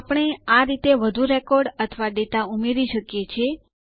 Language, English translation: Gujarati, We can add more records or data in this way